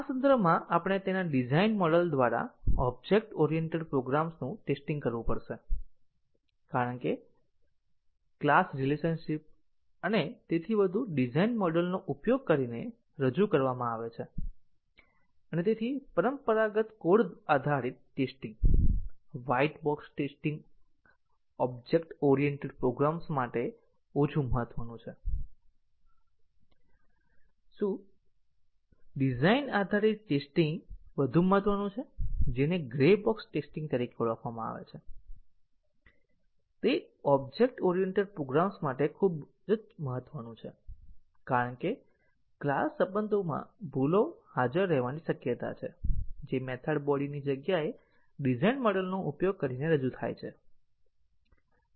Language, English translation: Gujarati, In this context we have to test an object oriented program through its design model because the class relations and so on are represented using a design model and therefore, the traditional code based testing, white box testing is less significant for object oriented programs, what is much more important is the design based testing what is called as a grey box testing is very important for object oriented programs because bugs are much likely to be present in the class relations, which are represented using a design model rather than in the method body itself